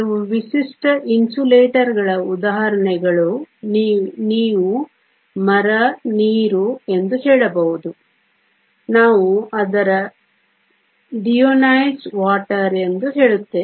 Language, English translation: Kannada, Examples of some typical insulators you could say Wood, Water we say its deionized water